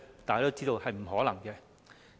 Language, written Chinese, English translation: Cantonese, 大家都知道是不可能的。, We all know that this is impossible